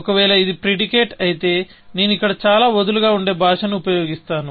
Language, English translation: Telugu, If it is a predicate; I will use very loose language here